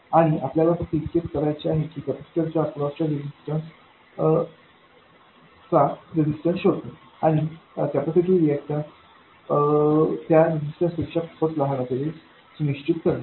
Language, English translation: Marathi, So this is a first order system and all you have to do is to find out the resistance that appears across the capacitor and make sure that the capacitive reactance is much smaller than that resistance